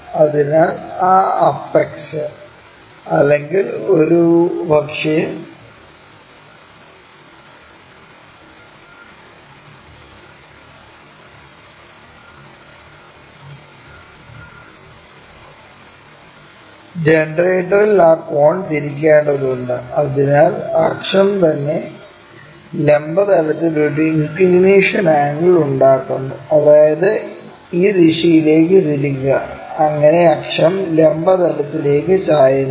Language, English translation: Malayalam, So, we have to rotate that apex or perhaps that cone on the generator, so that axis itself makes an inclination angle with the vertical plane, that means, rotate that in this direction, so that axis is inclined to vertical plane